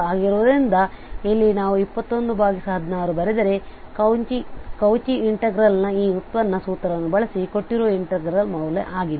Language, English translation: Kannada, So here if we write 21 by 16 this is the value of the given integral using this derivative formula of the Cauchy integral